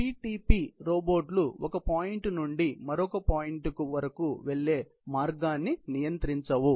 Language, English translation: Telugu, PTP robots do not control the path to get from one point to the next point